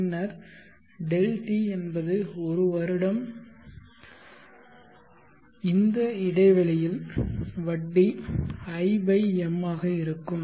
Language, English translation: Tamil, t is nothing but 1year/m and the interest in the interval would be i/m